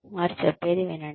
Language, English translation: Telugu, Listen to, what they say